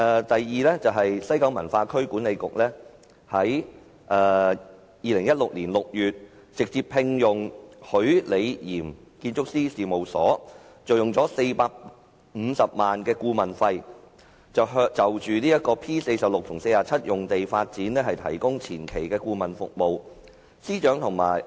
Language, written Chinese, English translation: Cantonese, 第二，西九文化區管理局於2016年6月直接聘用許李嚴建築師事務所，以450萬元顧問費就 P46/47 用地發展提供前期顧問服務。, Secondly WKCDA directly appointed ROCCO Design Architects Limited in June 2016 to provide pre - development consultancy services regarding the use of the P4647 site at the consultancy fee of 4.5 million